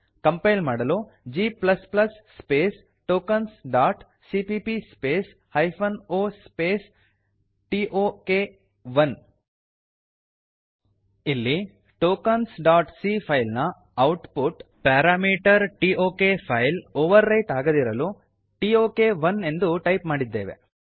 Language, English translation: Kannada, To compile , type g++ space tokens dot cpp space hyphen o space tok 1 Here we have tok1 because we dont want to overwrite the output parameter tok for the file tokens.c Now press Enter To execute.Type ./tok1